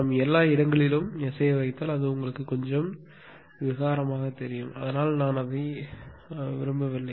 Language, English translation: Tamil, If we put everywhere S it will be you know little bit clumsy; so, I do not want that